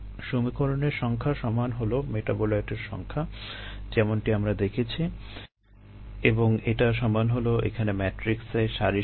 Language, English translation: Bengali, the number of equations would equal the number of metabolites, as we have seen, and that would equal the number of rows that we have here